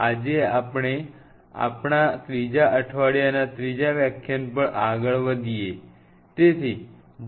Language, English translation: Gujarati, So, today while we are moving on to our week 3 lecture 3; we will talk about those w 3 L3